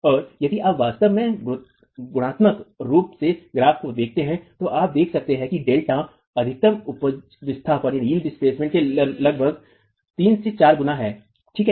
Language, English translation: Hindi, And if you actually qualitatively look at the graph, you can see that delta max is about three to four times the eel displacement